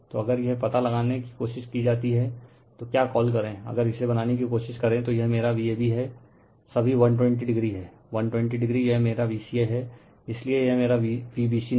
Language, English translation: Hindi, So, if you try to find out if you try to find out this thing, your what you call if you try to make this delta, so, this is my V ab this all 120 degree, 120 this is my V ca, so this my V bc no, so just let me clear it